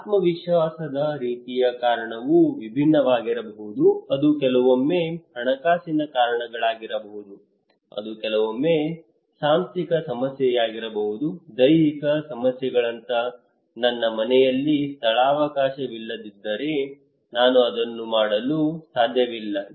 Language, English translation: Kannada, The kind of confidence the reason could be different it could be sometimes financial reasons it could be sometimes organizational problem, physical issues like if I do not have space in my house I cannot do it